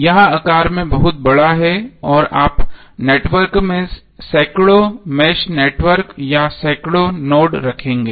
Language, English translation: Hindi, That is very large in size and you will end up having hundreds of mesh networks or hundreds of nodes in the network